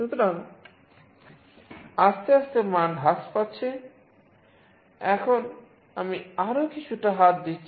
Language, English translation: Bengali, So, slowly the value is getting decreased, now I am putting little more hand